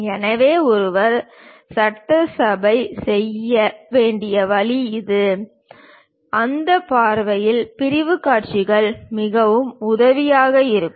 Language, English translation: Tamil, So, this is the way one has to make assembly; for that point of view the sectional views are very helpful